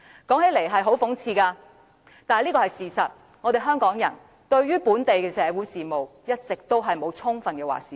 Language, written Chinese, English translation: Cantonese, 說起來很諷刺，但這是事實，香港人對本地的社會事務一直沒有充分的"話事權"。, It sounds ironic to say this but it is the truth . The people of Hong Kong are deprived of the full right to have a say in the social affairs in Hong Kong all along